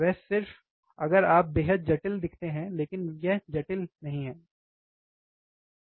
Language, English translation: Hindi, He has just if you look extremely complicated, but it is not complicated, guys